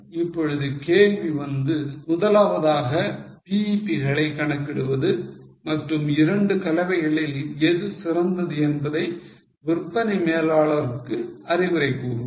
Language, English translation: Tamil, Now, the question was, firstly to calculate the BEPs and then advise sales manager as to which of the two mix is better